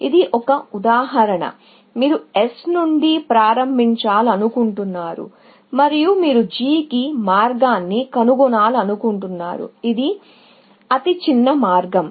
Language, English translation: Telugu, Let us say, this is an example, you want to start from S, and you want to find the path to G, which is of the shortest paths, actually